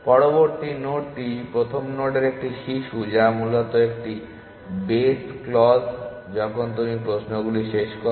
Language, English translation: Bengali, The next node is just a child of first node essentially that a base clause when you terminate the questions essentially